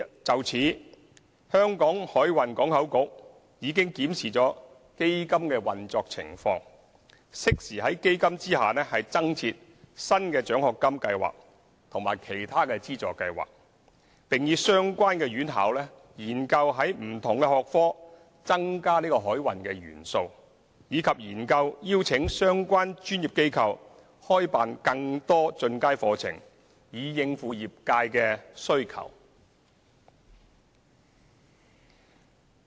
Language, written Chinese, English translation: Cantonese, 就此，香港海運港口局已檢視基金的運作情況，適時在基金下增設新的獎學金計劃及其他資助計劃，並與相關院校研究在不同學科增加海運元素，以及研究邀請相關專業機構開辦更多進階課程，以應付業界的需求。, For this purpose HKMPB has reviewed the operation of the fund and timely provided new scholarship programmes and other funding schemes under the fund . It has also explored with the relevant institutions the addition of maritime elements in different disciplines as well as invited the relevant professional bodies to offer more advanced courses to meet the needs of the industry